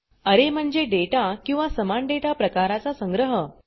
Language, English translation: Marathi, Array is the collection of data or elements of same data type